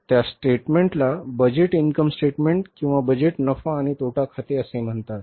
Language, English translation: Marathi, That statement is called as the budgeted income statement or the budget in a profit and loss account